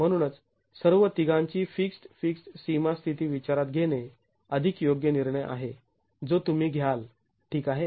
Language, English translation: Marathi, Therefore, considering all the three to be having fixed, fixed boundary conditions is the more appropriate decision that you would take